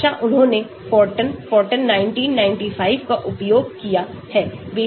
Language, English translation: Hindi, the language they have used Fortran , Fortran 1995